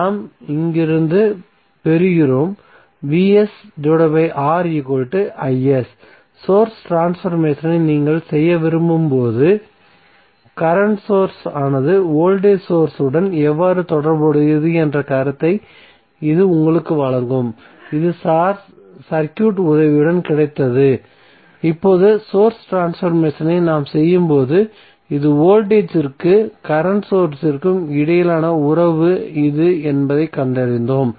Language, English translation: Tamil, So what we get from here we get from here is nothing but Vs by R equal to is so, this will give you the idea that when you want to do the source transformation how the current source would be related to voltage source, so this we got with the help of circuit and now we found that this is the relationship between voltage and current sources when we are doing the source transformation